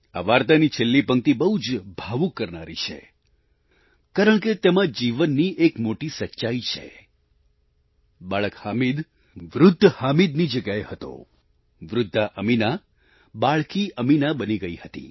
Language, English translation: Gujarati, The concluding line of this story makes one very emotional since it holds a vital truth about life, "Young Hamid played the role of aged Hamid aged Ameena had turned into child Ameena"